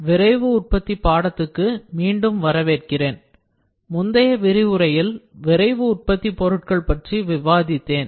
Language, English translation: Tamil, Welcome back to the course on Rapid Manufacturing, I have discussed rapid manufacturing materials in the previous lecture